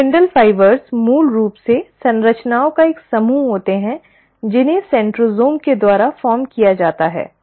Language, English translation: Hindi, The spindle fibres are basically a set of structures which are formed by what is called as the centrosome